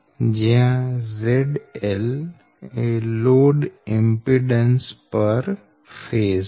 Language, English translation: Gujarati, z l is the load impedance